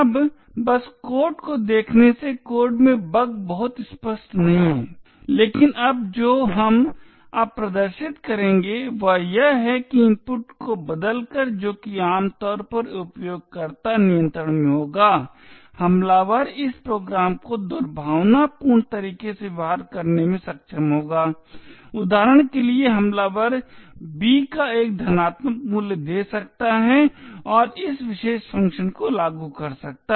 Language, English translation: Hindi, Now at just by eyeballing the code the bug in the code is not very obvious however what we will now demonstrate now is that by changing the input which is which would typically be in the user control the attacker would be able to make this program behave maliciously for example the attacker could give a positive value of b and make this particular function get invoked